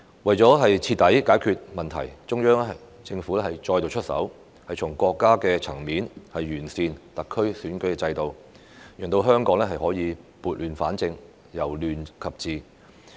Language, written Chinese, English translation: Cantonese, 為徹底解決問題，中央政府再度出手，從國家層面完善特區選舉制度，讓香港可以撥亂反正、由亂及治。, To thoroughly resolve the problem the Central Government stepped in again to improve the electoral system of SAR at the national level so that Hong Kong can put things right and restore order from chaos